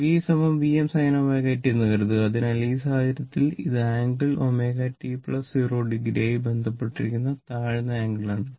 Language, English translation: Malayalam, Suppose, V is equal to V m sin omega t, right; so, in this case, this is low angle associated that it is omega t plus 0 degree right